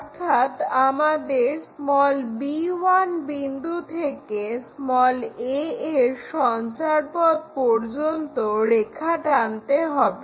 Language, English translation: Bengali, So, we have to pick from b 1 here up to locus of a